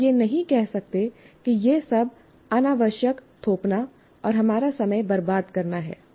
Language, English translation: Hindi, You cannot say that this is all an unnecessary imposition wasting our time